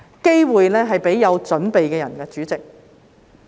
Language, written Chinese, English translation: Cantonese, 機會是給有準備的人，主席。, President opportunities are for those who are prepared